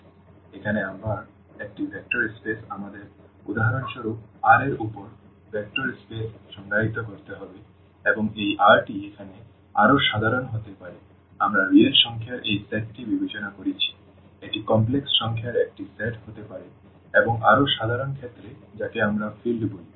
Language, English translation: Bengali, So, a vector space again here we need to define the vector space over R for instance and this R can be more general like here we have considered this set of real numbers this can be a set of complex numbers and in more general cases what we call the field